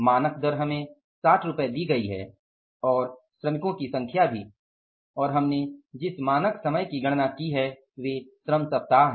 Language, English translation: Hindi, Standard rate is 60 given to us and number of workers or the standard time we have calculated they are the labour weeks